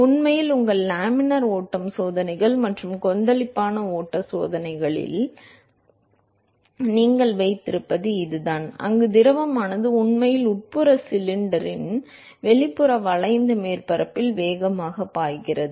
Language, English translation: Tamil, In fact, that is what you have in your laminar flow experiments and turbulent flow experiments, where the fluid is actually flowing fast the external curved surface of the interior cylinder